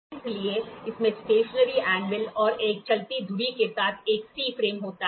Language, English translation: Hindi, So, it consists of a C frame with stationery anvil and a moving spindle